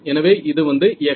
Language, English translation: Tamil, So, this x e